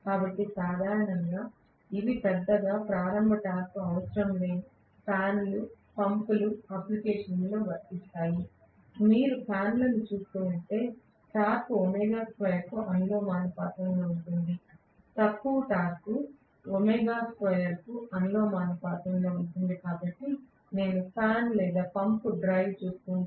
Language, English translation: Telugu, So, these are applicable mainly in those applications where I do not require a large starting torque, typically fans, pumps, if you look at fans, torque is proportional to omega square, low torque is proportional to omega square, so if I look at fan or pump drive I can say TL is proportional to omega r square